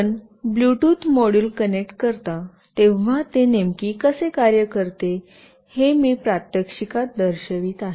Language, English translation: Marathi, Now, I will be showing you in the demonstration how exactly it works when you connect a Bluetooth module